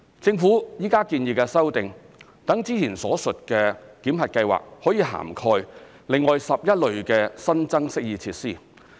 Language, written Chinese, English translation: Cantonese, 政府現在建議的修訂，讓之前所述的檢核計劃可以涵蓋另外11類新增適意設施。, The amendments proposed by the Government seek to extend the above mentioned validation scheme to cover an additional 11 types of amenity features